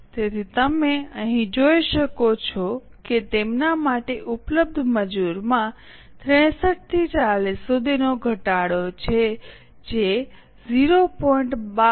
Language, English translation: Gujarati, So, you can see here there is a reduction in the labor available to them from 63 to 40 which is in the ratio of 0